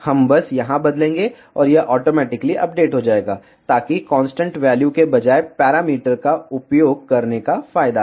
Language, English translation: Hindi, We will simply change here, and it will automatically update, so that is the advantage of using the parameters instead of constant values